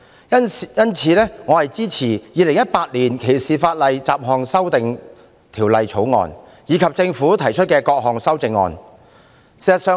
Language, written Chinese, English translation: Cantonese, 因此，我支持《2018年歧視法例條例草案》及政府提出的各項修正案。, Thus I support the Discrimination Legislation Bill 2018 the Bill and all the amendments proposed by the Government